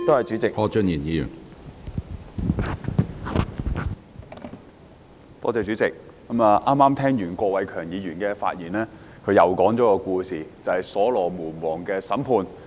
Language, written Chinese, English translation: Cantonese, 主席，我剛才聽完郭偉强議員的發言，他在發言中再次講述所羅門王的審判故事。, President I have just listened to the speech of Mr KWOK Wai - keung . In his speech he again told the story of the Judgement of King Solomon